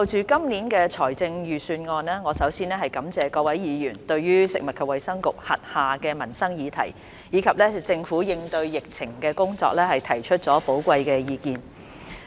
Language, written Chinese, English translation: Cantonese, 主席，就今年的財政預算案，我首先感謝各位議員對食物及衞生局轄下的民生議題，以及政府應對疫情的工作，提出寶貴的意見。, President concerning this years Budget I first wish to thank Honourable Members for expressing their invaluable views on the livelihood issues under the purview of the Food and Health Bureau and the work undertaken by the Government in response to the epidemic